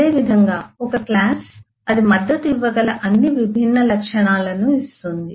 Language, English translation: Telugu, similarly, a class will give us all the different properties that you can support